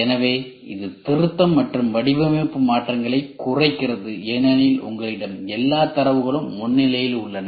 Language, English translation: Tamil, So, it reduces the revision and design changes because you have all sets of data as upfront